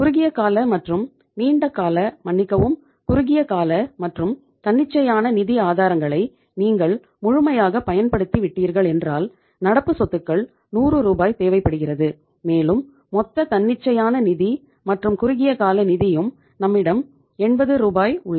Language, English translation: Tamil, Once you have utilized fully the short term and the long term sorry short term and the spontaneous sources of finance so it means current assets we require 100 Rs of the current assets right and we have the total that is spontaneous finance as well as the short term finance we have available with us is 80 Rs